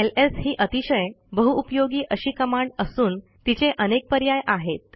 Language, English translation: Marathi, ls is a very versatile command and has many options